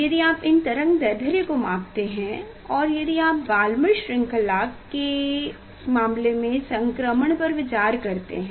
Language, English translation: Hindi, if you measure; if you measure this wavelength, if you measure this wavelength and then if you consider the transition in case of Balmer series